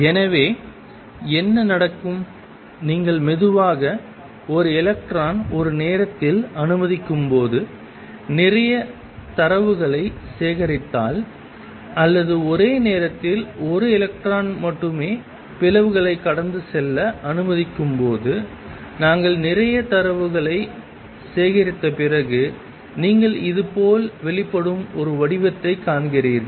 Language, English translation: Tamil, So, what happens when slowly, if you let one electron come at a time and collect a lot of data you even when only one electron is allow to pass through the slits at one time after we collect a lot of data, you see a pattern emerging like this